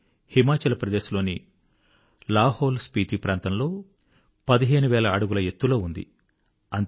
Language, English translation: Telugu, At an altitude of 15,000 feet, it is located in the LahaulSpiti region of Himachal Pradesh